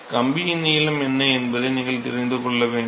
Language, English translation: Tamil, You need to know what is the length of the wire anything else yeah